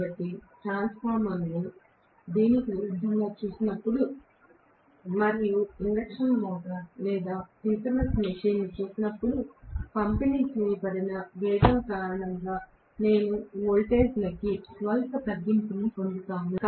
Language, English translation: Telugu, So, when I look at the transformer vice versa and I look at an induction motor or synchronous machine I will get slide reduction into voltage because of the distributed winding